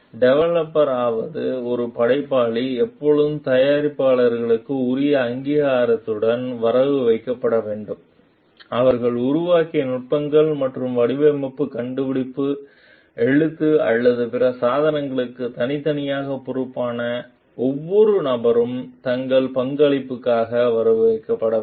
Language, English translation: Tamil, The developer the creator should always be credited with due recognition for the products the techniques that they have developed and, it is like every person who was individually responsible for the design, invention, writing or other accomplishments should be credited for their contribution